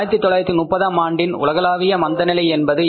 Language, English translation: Tamil, What is that global recession of 1930s